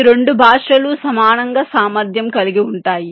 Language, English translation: Telugu, both of this languages are equally capable